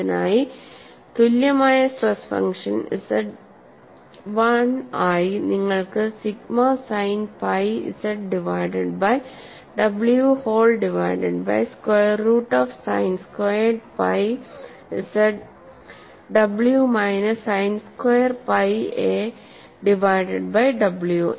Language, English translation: Malayalam, And for this, you have the stress function given as Z1 equal to sigma sin pi z divided by w whole divided by square root of sign squared pi z by w minus sin squared pi a divided by w